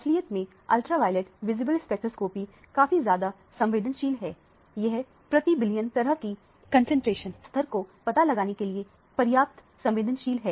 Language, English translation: Hindi, In fact, the ultraviolet visible spectroscopy is highly sensitive; sensitive enough to afford detection to the parts per billion kinds of a concentration levels